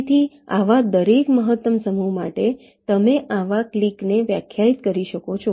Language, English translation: Gujarati, so for every such maximum set you can define such a clique